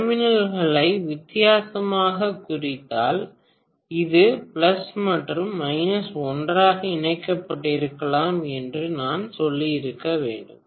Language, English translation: Tamil, Have you marked the terminals differently, maybe I should have said this is plus and minus are connected together, okay